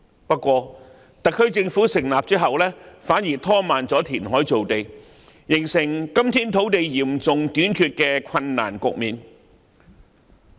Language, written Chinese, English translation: Cantonese, 不過，特區政府在成立後反而拖慢填海造地，形成今天土地嚴重短缺的困難局面。, But the SAR Government has slowed down the progress of land development through reclamation after inauguration thus resulting in the predicament marked by a serious land shortage today